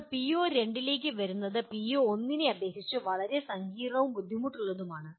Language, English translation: Malayalam, Now coming to PO2 which is lot more complex and difficult compared to PO1